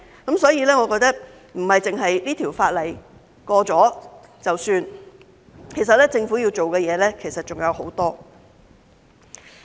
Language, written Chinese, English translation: Cantonese, 因此，我認為不是《條例草案》通過便可以，其實政府要做的工作還有很多。, Therefore I think the passage of the Bill alone is not enough . The Government still has a lot of work to do